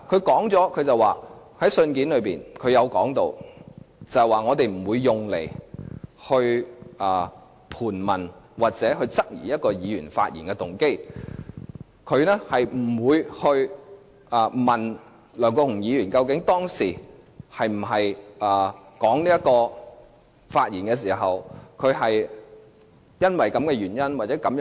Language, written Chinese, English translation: Cantonese, 律政司在信件中說明不會用這些文件來盤問或質疑一位議員發言的動機，不會問梁國雄議員究竟當時發言時，是否基於這個原因或這個動機？, In the letter DoJ makes it clear that it will not use these documents to cross - examine or question a Members motive to speak . It will not ask whether Mr LEUNG Kwok - hung was out of certain reason or motive when he made his remarks at that time